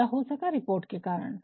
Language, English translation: Hindi, And, that is possible through reports